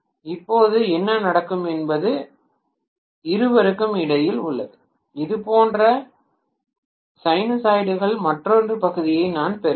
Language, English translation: Tamil, Now what will happen is in between the two also I will get another portion of sinusoids like this